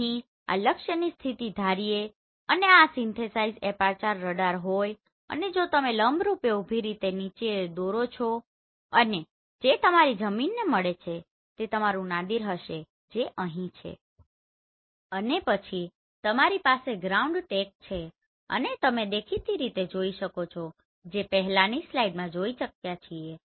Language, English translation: Gujarati, So assuming the position of this target here and this is synthetic aperture radar and if you draw a perpendicular vertically down and which meets to your ground that will be your Nadir which is here right and then you have ground track and you can obviously see as they have seen in the previous slide